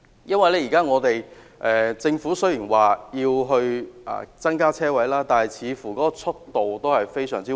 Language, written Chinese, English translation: Cantonese, 雖然政府現在說要增加車位，但似乎速度非常緩慢。, While the Government states that more parking spaces will be provided it seems that the pace is very slow